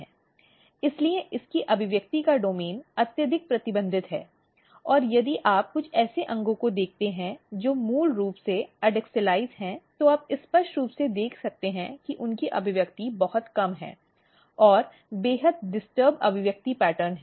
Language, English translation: Hindi, So, basically its domain of expression is highly restricted and if you look some of the organs which are basically adaxialize you can clearly see that their expression is very very low and extremely disturbed expression pattern